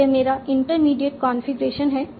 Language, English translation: Hindi, Now this is my intermediate configuration